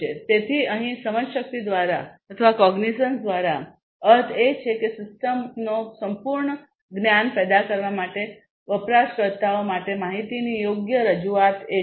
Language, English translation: Gujarati, So, here by cognition what is meant is basically the proper presentation of information to users for generating thorough knowledge of the system